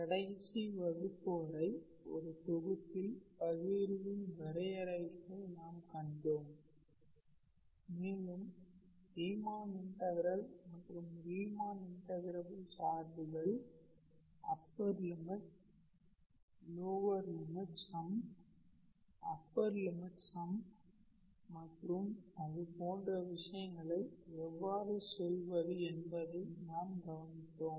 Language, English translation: Tamil, So up until last class we saw the definitions of partition of a set and we also looked into the in how to say, Riemann integration and Riemann integrable functions, upper limit, lower limit sum, upper limit sum, and things like that